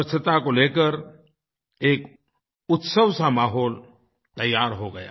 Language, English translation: Hindi, A festive atmosphere regarding cleanliness got geared up